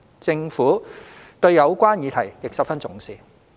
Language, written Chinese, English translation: Cantonese, 政府對有關議題亦十分重視。, The Government also attaches great importance to this subject